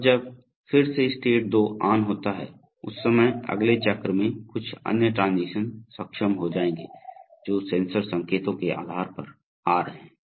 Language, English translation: Hindi, Now when, in this way again when state 2 is on, at that time in the next cycle some other transition will become enabled depending on what sensors signals are coming